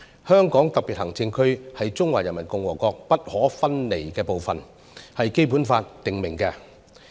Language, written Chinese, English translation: Cantonese, 香港特別行政區是中華人民共和國不可分離的一部分，這是《基本法》訂明的。, It is stipulated in the Basic Law that the Hong Kong Special Administrative Region is an inalienable part of the Peoples Republic of China